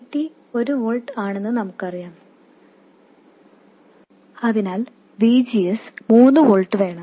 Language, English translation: Malayalam, And we know that VT is 1 volt, so VGS has to be 3 volts